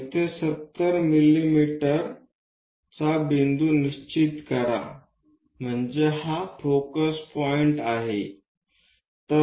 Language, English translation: Marathi, So, locate 70 mm point here so this is the focus point